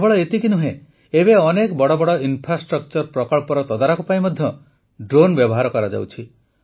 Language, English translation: Odia, Not just that, drones are also being used to monitor many big infrastructure projects